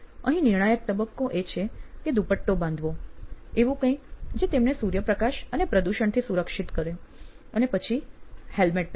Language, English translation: Gujarati, The crucial stage here is to put on a scarf, something that protects them from sunlight and pollution and then wear a helmet